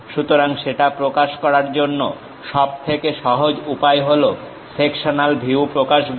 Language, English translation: Bengali, So, to represent that, the easiest way is representing the sectional view